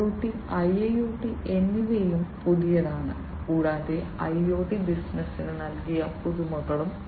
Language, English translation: Malayalam, IoT is new, IIoT is also new, and the innovations that IoT posed to the business, are also new